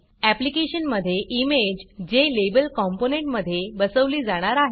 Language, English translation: Marathi, In this application, the image will be embedded within a Jlabel component